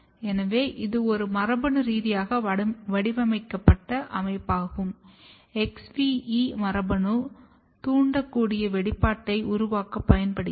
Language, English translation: Tamil, So, this is a genetically engineered system where XVE gene if you recall can be used to generate inducible expression